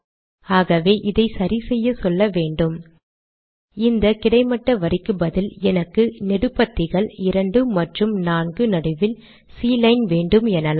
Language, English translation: Tamil, So this is taken care of by saying instead of this horizontal line, I want a C line and between the columns 2 and 4